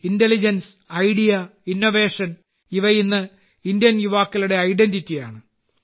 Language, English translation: Malayalam, 'Intelligence, Idea and Innovation'is the hallmark of Indian youth today